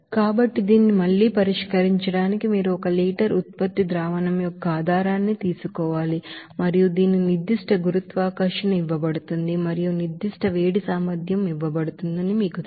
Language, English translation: Telugu, So to solve this again you have to take that basis of one liter product solution and whose specific gravity is given and also you know that specific heat capacity is given